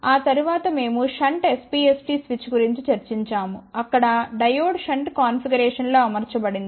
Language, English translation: Telugu, After that we discussed about shunt SPST switch where diode was mounted in shunt configuration